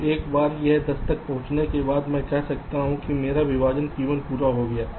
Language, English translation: Hindi, so once this ten is reached, i can say that my partition p one is done